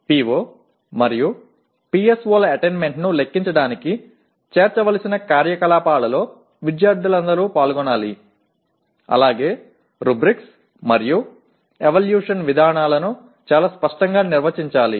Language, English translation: Telugu, All students should participate in the activities to be included for computing the attainment of PO and PSO as well as the rubrics and evaluation procedures should be very clearly defined